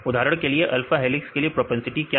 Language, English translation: Hindi, For example, for alpha helices what is the propensity